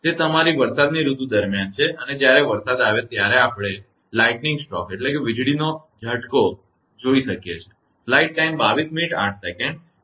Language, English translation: Gujarati, That is during your rainy season and when rain is offer you we can see the lightning stroke right